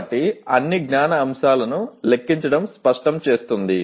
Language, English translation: Telugu, So enumerating all the knowledge elements will clarify